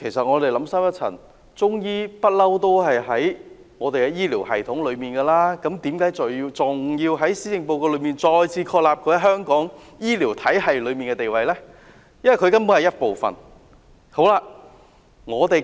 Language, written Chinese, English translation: Cantonese, 我們想深一層，其實"中醫藥"一向都在醫療系統中，為何還要在施政報告中再次確立它在香港醫療體系中的地位？, On second thought Chinese medicine has always been there in our health care system . Why should we confirm its positioning in the local health care system again in the Policy Address? . It has been by and large a part of it